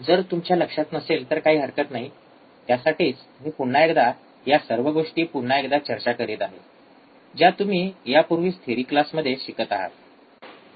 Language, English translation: Marathi, Ah if you do not remember do not worry that is why I am kind of repeating the things that you have already been studying in the theory class